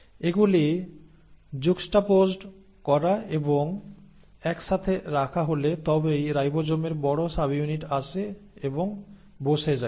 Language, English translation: Bengali, Once these are juxtaposed and are put together only then the large subunit of ribosome comes and sits